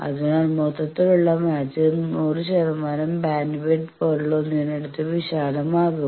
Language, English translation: Malayalam, So, the overall sum total match that will be much broadened very near to 100 percent bandwidth sort of things